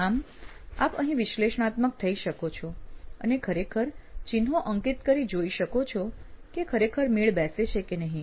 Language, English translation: Gujarati, So you can be analytical about this and actually do a plot and see if it actually matches up